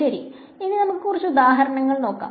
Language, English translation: Malayalam, So, let us take a few examples